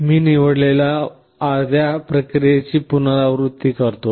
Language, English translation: Marathi, I repeat the process for the half that I have selected